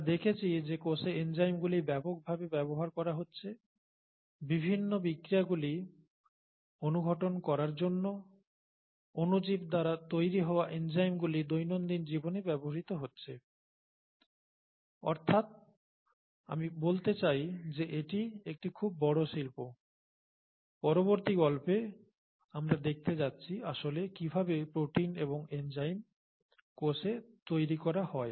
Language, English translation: Bengali, We saw that enzymes are being used, heavily used in the cell, for catalysing various different reactions and so on, enzymes produced by microorganisms are used in everyday products and so I mean, that’s a very large industry, the next story we’re going to see how the proteins and the enzymes are actually made in the cell, okay